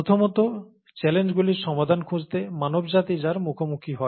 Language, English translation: Bengali, First, to find solutions to challenges, that face mankind